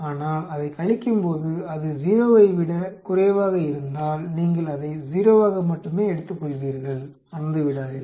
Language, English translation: Tamil, But if it becomes less than 0, when it subtracts then you will take it as 0 only, do not forget